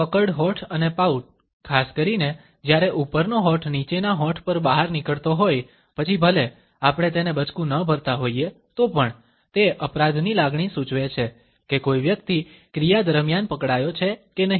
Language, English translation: Gujarati, Puckered lips and pout, particularly when the top lip has protruding over the bottom lip, then even though we are not biting it then it indicates a feeling of guilt whether an individual has been caught or not during the action